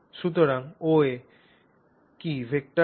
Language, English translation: Bengali, So that is what that that OA vector is